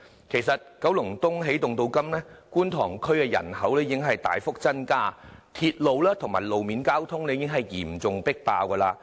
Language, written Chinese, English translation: Cantonese, 其實，九龍東起動至今，觀塘區人口已大幅增加，鐵路和路面交通已嚴重迫爆。, Actually the population in Kwun Tong has grown significantly since the launch of Energizing Kowloon East . The railway and road traffic facilities there are already loaded far beyond capacity